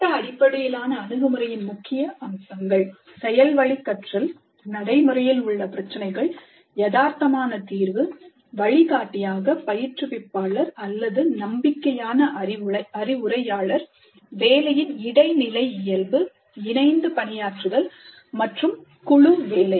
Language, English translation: Tamil, The key features of project based approach, learning by doing, real world problems, realistic solution, instructor as a guide or a mentor, interdisciplinary nature of the work, collaboration and group work